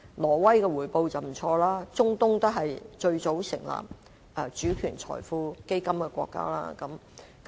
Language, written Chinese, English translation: Cantonese, 挪威的回報很不俗，而中東也是最早成立這種基金的國家。, Norway has obtained good returns and countries of the Middle - east are the earliest to invest in these funds